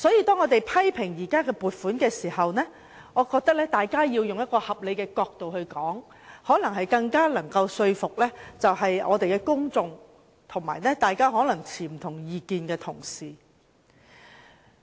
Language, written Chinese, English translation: Cantonese, 當我們批評現時的撥款項目時，我認為大家要從合理的角度出發，這可能更能說服公眾及持不同意見的同事。, When we criticize the existing expenditure items I think we have to be reasonable for this may be a better way to convince the public and Honourable colleagues holding different views